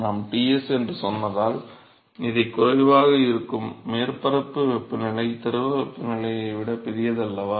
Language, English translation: Tamil, It will be lesser because we said Ts, the surface temperature is larger than the fluid temperature right